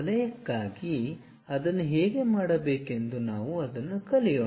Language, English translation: Kannada, How to do that for a circle let us learn that